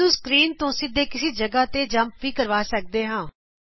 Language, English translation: Punjabi, It can also jump directly to a position on the screen